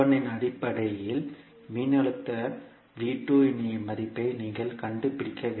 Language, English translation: Tamil, You have to find out the value of voltage V2 in terms of V1